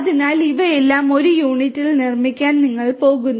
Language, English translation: Malayalam, So, you are going to have all of these built in one unit